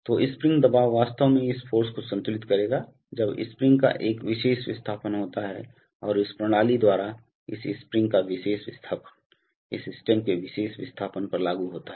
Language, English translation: Hindi, So, the spring pressure will actually balance this force, when a particular displacement of the spring takes place and by the mechanism this particular displacement of this spring implies a particular displacement of this stem